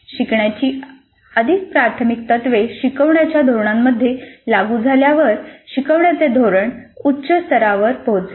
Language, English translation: Marathi, As more of the first principles of learning get implemented in the instructional strategy, the instructional strategy will reach higher levels